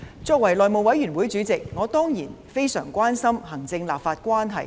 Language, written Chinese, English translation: Cantonese, 作為內務委員會主席，我當然非常關心行政立法關係。, As Chairman of the House Committee certainly I am very much concerned about the relationship between the executive and the legislature